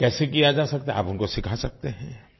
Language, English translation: Hindi, It is possible that you can teach them